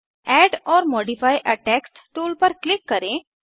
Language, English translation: Hindi, Click on Add or modify a text tool